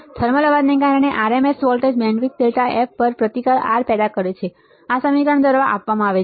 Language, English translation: Gujarati, The RMS voltage due to thermal noise generated a resistance R over a bandwidth delta F is given by this equation